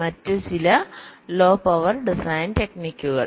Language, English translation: Malayalam, ok, so other low power design techniques